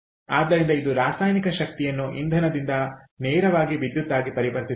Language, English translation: Kannada, so this is conversion of chemical energy from a fuel directly into electricity